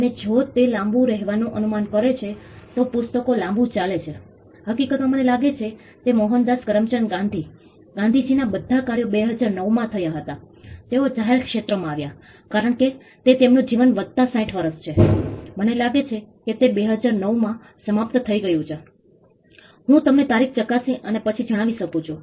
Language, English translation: Gujarati, And if he guess to live long then the books get a longer right, in fact I think it was in 2009 all the works of Mohandas Karamchand Gandhi, Gandhiji they came into the public domain, because his life plus 60 years; I think it expired in 2009 I can check and tell you the date